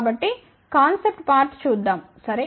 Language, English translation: Telugu, Let us first look at the concept part ok